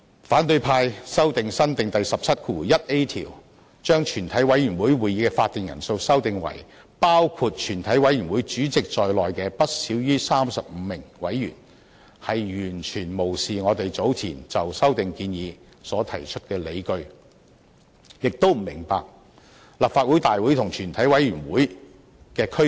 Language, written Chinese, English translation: Cantonese, 反對派修訂新訂第17條，把全委會會議的法定人數修訂為"包括全體委員會主席在內的不少於35名委員"，完全無視我們早前就修訂建議所提出的理據，亦不明白立法會大會和全委會的區別。, An opposition Member proposes to amend the new Rule 171A so that the quorum of a committee of the whole Council shall be not less than 35 Members including the Chairman of the committee of the whole Council . This amendment entirely ignores the justifications put forward by us in support of our proposed amendment . It also shows that the Member does not understand the difference between the Legislative Council and a committee of the whole Council